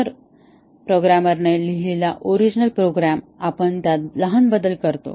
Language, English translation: Marathi, So, the original program written by the programmer we make small changes to that